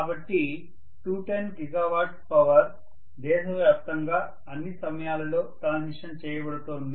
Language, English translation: Telugu, So 210 gigawatt of power is being transmitted all over the country, all the time